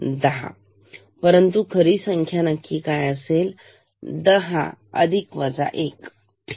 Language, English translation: Marathi, 10, but true count actual count will be 10 plus minus 1 ok